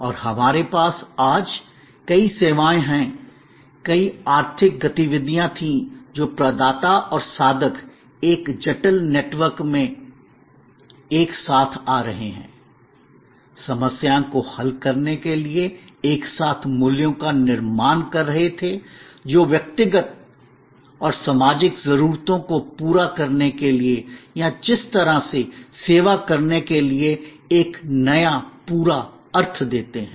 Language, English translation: Hindi, And we have many, many services today, many, many economic activities were this providers and seekers coming together in a complex network, creating values together to solve problems, to meet individual and social needs or giving a new complete meaning to the way service is perceived